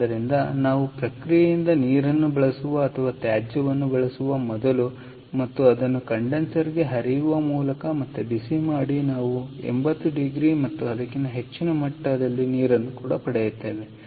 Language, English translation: Kannada, right, so, as before, we use ah water from, or waste water from, a process and heat it up again by flowing it to the condenser, and we get water at eighty degrees and above